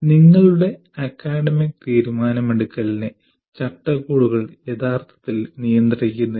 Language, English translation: Malayalam, Actually, framework does not restrict any of your academic decision making